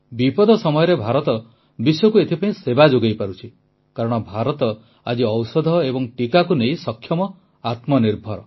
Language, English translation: Odia, During the moment of crisis, India is able to serve the world today, since she is capable, selfreliant in the field of medicines, vaccines